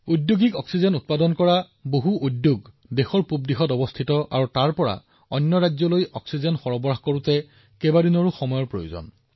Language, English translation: Assamese, Many plants manufacturing industrial oxygen are located in the eastern parts of the country…transporting oxygen from there to other states of the country requires many days